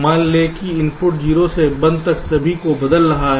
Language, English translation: Hindi, lets say the inputs are changing all of them from zero to one